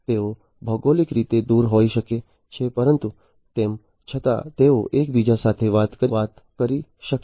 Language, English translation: Gujarati, So, they might be geographically distant apart, but still they would be able to talk to each other